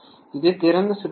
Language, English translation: Tamil, This is open circuit condition